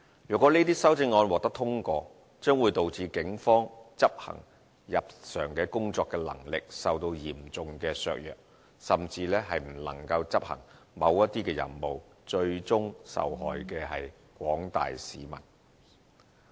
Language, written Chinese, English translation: Cantonese, 如果這些修正案獲得通過，將會導致警方執行日常的工作能力受到嚴重的削弱，甚至不能夠執行某些任務，最終受害的是廣大的市民。, The passage of these amendments will seriously undermine the capability of the Police to undertake routine duties and they may not even be able to carry out certain duties . The general public will suffer as a result